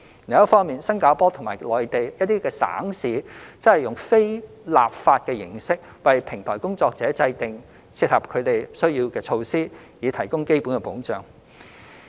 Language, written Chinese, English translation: Cantonese, 另一方面，新加坡及內地一些省市則以非立法的形式，為平台工作者制訂切合他們需要的措施，以提供基本保障。, On the other hand Singapore and some Mainland provinces and cities have taken a non - legislative approach to provide basic protection for platform workers by devising measures suitable to their needs